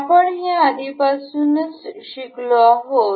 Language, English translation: Marathi, We have already seen